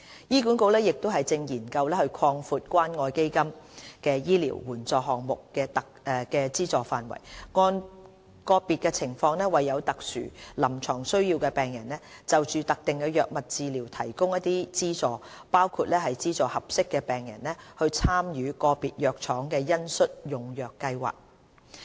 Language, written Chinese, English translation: Cantonese, 醫管局亦正研究擴闊關愛基金醫療援助項目的資助範圍，按個別情況為有特殊臨床需要的病人就特定藥物治療提供資助，包括資助合適的病人參與個別藥廠的恩恤用藥計劃。, HA is also examining the extension of the coverage of CCF Medical Assistance Programmes to provide patients with subsidies for specific drug treatments according to individual patients special clinical needs including subsidizing eligible patients to participate in compassionate programmes of individual pharmaceutical companies